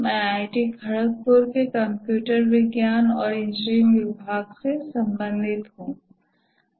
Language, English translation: Hindi, I belong to the computer science and engineering department of IIT Khodopur